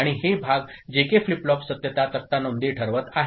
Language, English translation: Marathi, And these part JK flip flop truth table are deciding the entries